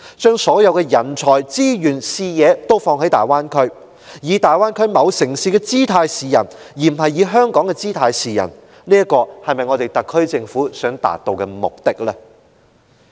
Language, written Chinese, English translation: Cantonese, 把所有人才、資源、視野均放在大灣區，以大灣區某城市的姿態示人，而不是以香港的姿態示人，這是否特區政府想達致的目的？, By putting all the talents resources and visions in the Greater Bay Area does the SAR Government want to present Hong Kong as a city in the Greater Bay Area instead of as a place with its independent identity?